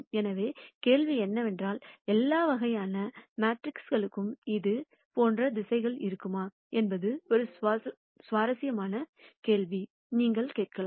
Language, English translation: Tamil, So, the question is, would there be directions like this for all kinds of matrices is an interesting question, that you could ask for